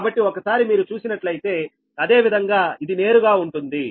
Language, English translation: Telugu, so once you, similarly, this is straight forward